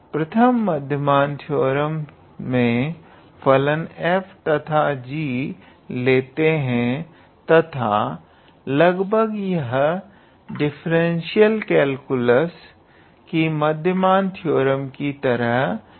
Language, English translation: Hindi, So, the first mean value theorem says that if f and g are so it is more or less like the mean value theorem which we studied in differential calculus